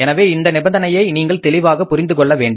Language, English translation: Tamil, So this is very important condition you have to understand it very clearly